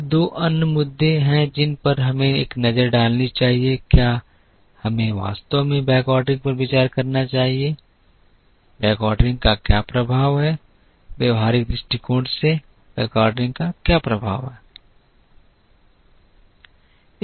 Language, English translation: Hindi, Then there are two other issues that we have to look at one is should we really consider backordering, what is the impact of backordering, what is the effect of backordering from a practical point of view